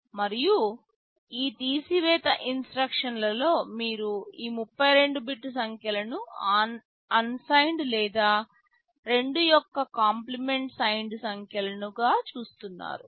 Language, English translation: Telugu, And, in these subtract instructions you are viewing these 32 bit numbers as either unsigned or as 2’s complement signed numbers